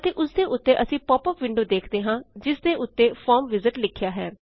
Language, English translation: Punjabi, And on top of it we see a popup window, that says Form Wizard